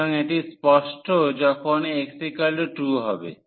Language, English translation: Bengali, So, that is pretty clear when x is 1